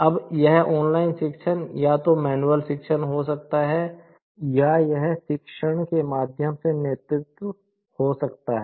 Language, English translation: Hindi, Now, this online teaching could be either the manual teaching or it could be the lead through teaching